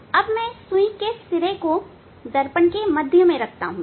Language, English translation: Hindi, Needle tip I am putting at the middle of the mirror ok, yes